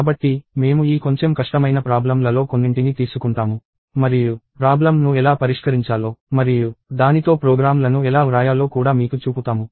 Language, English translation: Telugu, So, we will take some of these slightly difficult problems and show you how to solve the problem and also how to write programs with it